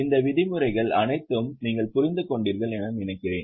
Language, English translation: Tamil, I think you understand all these terms